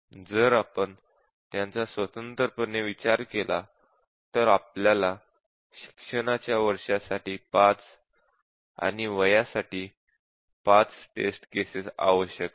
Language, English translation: Marathi, If we consider them independently then we need 5 for the years of education, and 5 for the age